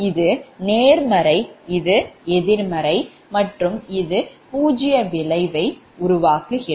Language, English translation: Tamil, this is positive, negative, this is zero sequence